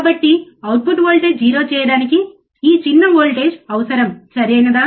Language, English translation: Telugu, So, this small voltage which is required to make to make the output voltage 0, right